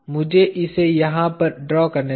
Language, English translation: Hindi, Let me draw it over here